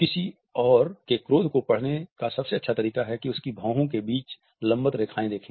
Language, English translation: Hindi, The best way to read anger and someone else is to look for vertical lines between their eyebrows